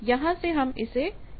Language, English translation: Hindi, So, from here you can measure that